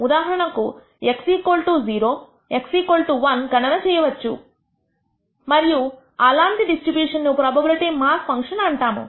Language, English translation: Telugu, For example, x is equal to 0, x is equal to one can be computed and such a distribution will be called as the probability mass function